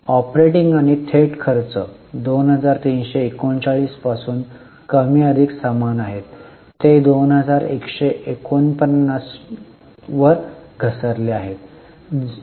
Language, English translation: Marathi, Operating and direct expenses, there are more or less same from 2339 they have fallen to 2149, that is a fall of 0